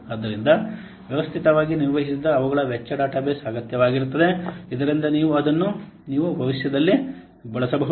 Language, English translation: Kannada, So it needs systematically maintained the cost database so that you can use in future